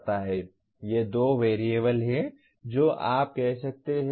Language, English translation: Hindi, These are the two variables you can say